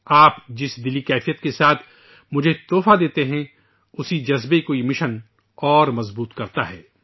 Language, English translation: Urdu, The affectionate, warm spirit, with which you present me gifts …that very sentiment gets bolstered through this campaign